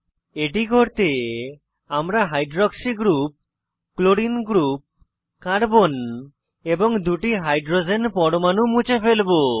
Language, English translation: Bengali, For this, we will delete the hydroxy group, the chlorine group, the carbon and two hydrogen atoms